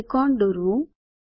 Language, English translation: Gujarati, Here the triangle is drawn